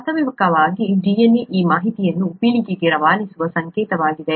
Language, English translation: Kannada, In fact DNA is the code through which this information is passed down generations